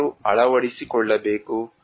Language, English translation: Kannada, Who should adopt